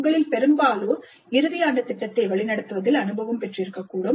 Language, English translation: Tamil, Most of you must be having experience in mentoring the final year project